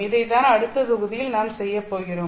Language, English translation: Tamil, And that is what we are going to do in the next module